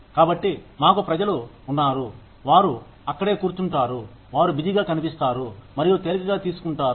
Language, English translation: Telugu, So, we have people, who just sit there, they look busy and take it easy